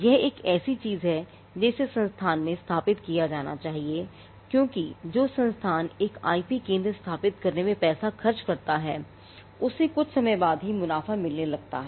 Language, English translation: Hindi, So, this is something that has to be factored in institution because institute that spends money in establishing an IP centre is going to see profits only after sometime